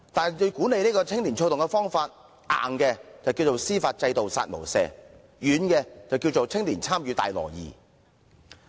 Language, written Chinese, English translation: Cantonese, 至於管理青年躁動的方法，硬的是"司法制度殺無赦"，軟的則是"青年參與大挪移"。, By stick I mean to put in place a judicial system with no mercy and by carrot I mean the transformation of youth participation